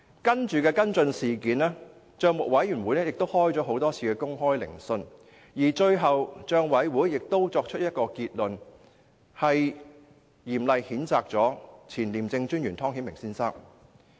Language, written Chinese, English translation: Cantonese, 在接下來的跟進工作中，帳委會召開多次公開聆訊，最後作出結論，嚴厲譴責前廉政專員湯顯明先生。, PAC held a number of public hearings as its subsequent follow - up and severely condemned former ICAC Commissioner Mr Timothy TONG in its conclusion